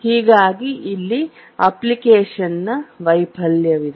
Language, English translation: Kannada, So there is application failure